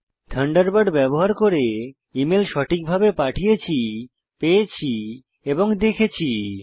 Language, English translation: Bengali, We have successfully sent, received and viewed email messages using Thunderbird